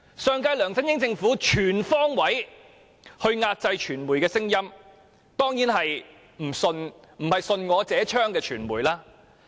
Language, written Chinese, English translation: Cantonese, 上屆梁振英政府全方位壓制傳媒的聲音——當然不是那些順我者昌的傳媒。, The LEUNG Chun - ying Administration of the last term suppressed the voices of the media on all fronts―of course I do not mean those media which go by the rule that those who submit will prosper